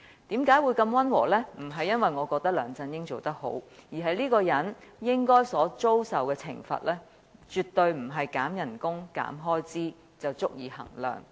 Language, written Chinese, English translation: Cantonese, 並非由於我認為梁振英做得好，而是這個人應遭受的懲罰絕非減薪或削減開支便足以相抵。, It is not because I think that LEUNG Chun - ying has done a good job . Rather it is because the punishment he deserves is more than reducing his emoluments or expenditure